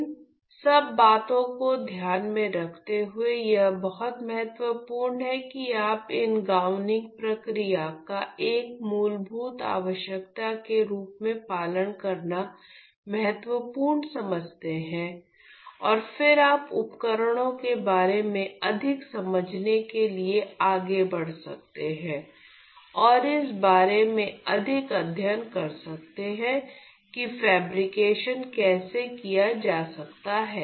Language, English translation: Hindi, So, keeping all this in mind it is very you know important to follow these gowning procedures as a fundamental need and then you can go ahead to understanding more about the devices and study more about how fabrication can be carried out